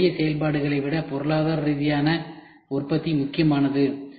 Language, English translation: Tamil, So, economic production is more important than simple operations